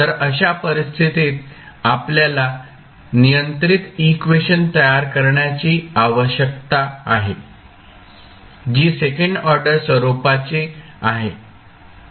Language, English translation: Marathi, So, in those case you need to create the governing equations which are the second order in nature